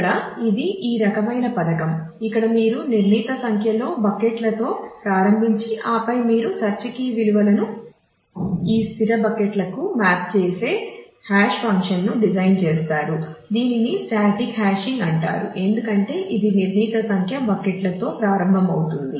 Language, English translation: Telugu, Now, this is this kind of a scheme where you start with a fixed number of buckets and then you design a hashing function which maps the search key values to this fixed set of buckets is known as a static hashing it is static because you start with a fixed number of buckets